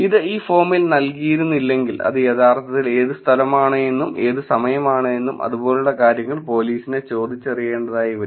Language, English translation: Malayalam, If it was not given in this form, if this information was not there, the police has to actually ask saying what location is it, what time is it, and things like that